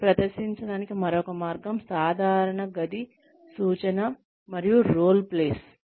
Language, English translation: Telugu, And, another way of presenting is, the typical classroom instruction and role plays